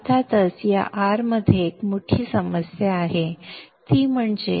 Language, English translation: Marathi, Of course there is one major problem with this R